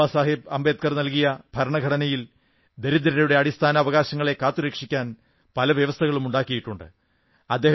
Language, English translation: Malayalam, Baba Saheb Ambedkar, many provisions were inserted to protect the fundamental rights of the poor